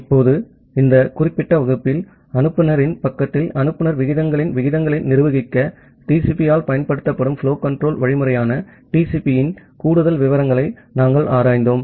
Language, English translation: Tamil, Now in this particular class, we look into the further details of TCP, the flow control algorithm, which is used by TCP to manage the rates of sender rates at sender side